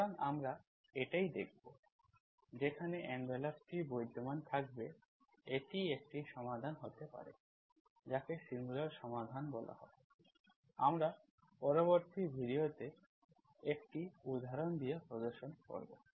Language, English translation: Bengali, So that is what we will see, when the envelope exists, that can be a solution, that is called singular solution, we will demonstrate with an example in the next video